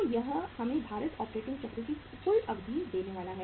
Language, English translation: Hindi, So this is going to give us the total duration of the weighted operating cycle